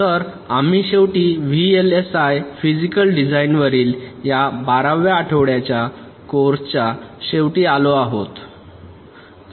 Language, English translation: Marathi, so we have at last come to the end of this twelfth week long course on vlsi physical design